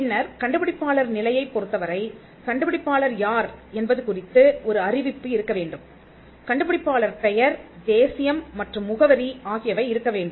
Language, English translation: Tamil, Then, there has to be a declaration, with regard to inventor ship, as to who the inventor is; the name, nationality, and address of the inventor